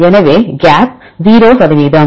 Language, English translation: Tamil, So, gap is 0 percent